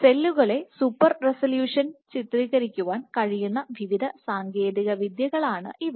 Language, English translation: Malayalam, So, these are various techniques where in you can image super resolution you can image cells in super resolution ok